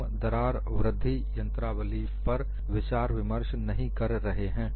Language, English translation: Hindi, We are not discussing crack growth mechanism